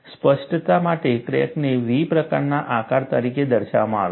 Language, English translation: Gujarati, For clarity, the crack is shown as a V type of shape